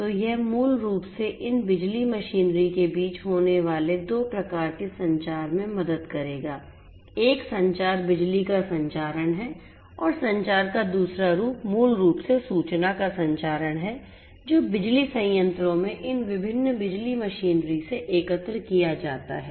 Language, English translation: Hindi, So, this will basically help in 2 types of communication happening between these power machinery, one communication is the transmission of electricity and the second form of communication is basically the transmission of the information that are collected from these different power machinery in the power plants right so, 2 types of communication are going to happen